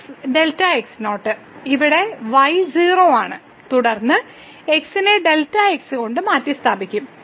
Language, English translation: Malayalam, So, here is 0 and then, x will be replaced by delta